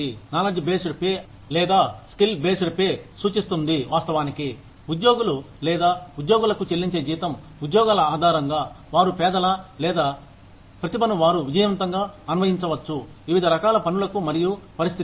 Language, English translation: Telugu, Knowledge based pay or skill based pay, refers to the fact that, employees are, or the salary that employees are paid, on the basis of the jobs, they can do, or the talents, they have, that can be successfully applied, to a variety of tasks and situations